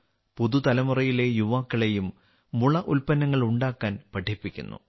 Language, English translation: Malayalam, The youth of the new generation are also taught to make bamboo products